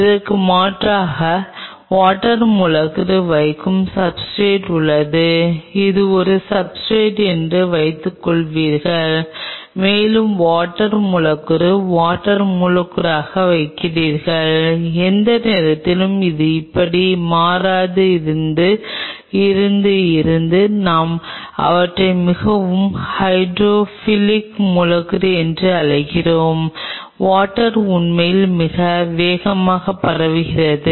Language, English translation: Tamil, On the contrary say for example, there are substrate where you put the water molecule suppose this is a substrate and you put the water molecule the water molecule almost in no time it will become like this from here to here we call them fairly hydrophilic substrate the water can really spread out very fast